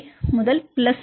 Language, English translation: Tamil, 5 to plus 0